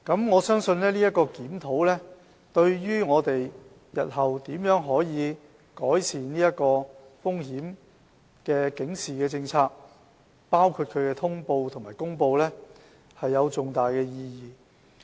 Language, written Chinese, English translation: Cantonese, 我相信今次檢討對於我們日後如何改善風險警示政策，包括其通報和公告有重大的意義。, I believe the review has a significant bearing on the future improvement of the Policy including its notification and announcement